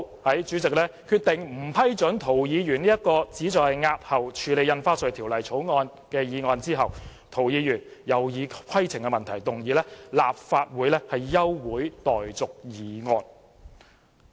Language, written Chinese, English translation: Cantonese, 在主席決定不批准涂議員這項旨在押後處理《條例草案》的議案後，涂議員又以規程問題要求動議立法會休會待續議案。, When the President decided not to approve Mr TOs motion to delay the scrutiny of the Bill Mr TO raised a point of order requesting to move a motion to adjourn the Council . Obviously on that day the pan - democrats were determined to postpone the scrutiny of the Bill